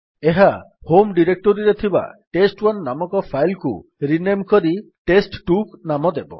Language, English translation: Odia, This will rename the file named test1 which was already present in the home directory to a file named test2